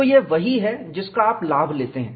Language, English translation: Hindi, So, this is what you take advantage